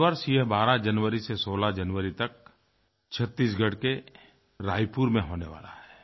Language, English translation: Hindi, This year it will be organized from 1216th January in Raipur district of Chhattisgarh